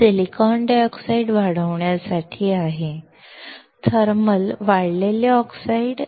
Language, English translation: Marathi, This is to grow silicon dioxide; thermal grown oxide